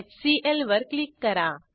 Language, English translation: Marathi, Click on HCl